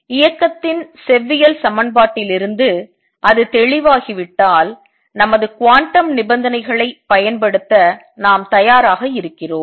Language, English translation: Tamil, So, once that is clear from the classical equation of motion we are ready to apply our quantum conditions